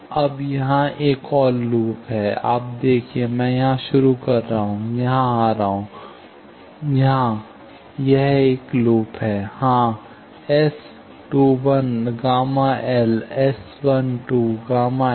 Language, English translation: Hindi, Now, there is another loop here, you see, I am starting here, coming here; here, this is a loop; so, S 2 1, gamma L, S 1 2 gamma S; S 2 1 gamma L, S 1 2 gamma S